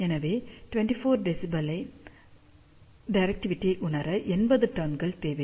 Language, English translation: Tamil, So, it requires 80 turns to realize directivity of 24 dBi